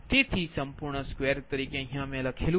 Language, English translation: Gujarati, so writing as a whole: square right